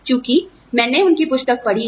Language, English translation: Hindi, Since, I have gone through their book